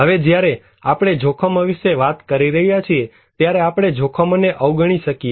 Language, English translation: Gujarati, Now when we are talking about hazards, can we avoid hazard